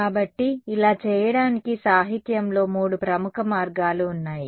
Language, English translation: Telugu, So, in the literature there are three popular ways of doing this